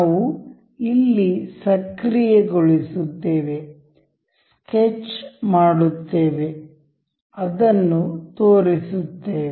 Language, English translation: Kannada, We will just activate here, sketch, make it show